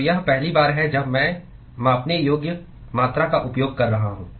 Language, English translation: Hindi, So, this is the first time I am using measurable quantity